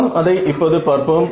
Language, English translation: Tamil, So, let us see now